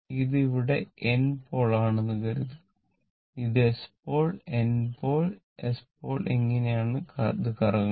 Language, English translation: Malayalam, Suppose, if you have here it is N pole here, it is S pole, N pole, S pole and it is revolving like this, it is revolving like this